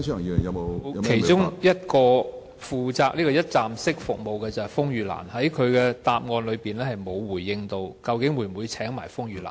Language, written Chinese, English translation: Cantonese, 其中一個負責提供"一站式"服務的機構是風雨蘭，但局長的答覆沒有表明會否邀請風雨蘭？, One of the organizations providing one - stop services is RainLily but the Secretarys reply has not indicated if RainLily will be invited